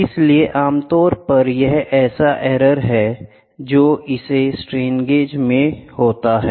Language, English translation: Hindi, So, there are generally, there are errors which happen in this strain gauges